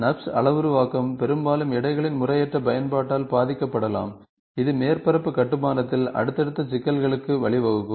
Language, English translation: Tamil, NURBS parameterization can often be affected by improper application of weightages, which can lead to subsequent problems in the surface construction